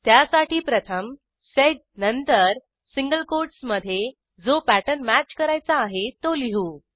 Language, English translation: Marathi, First we write sed then in single quotes we write the pattern to be matched